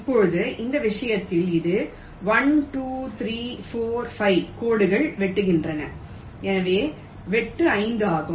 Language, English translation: Tamil, now, in this case it is one, two, three, four, five lines are cutting, so cut size is five